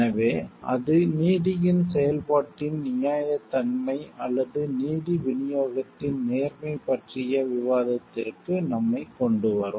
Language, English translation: Tamil, So, that will bring us into the discussion of the fairness of the process of the, or the fairness of the distribution of justice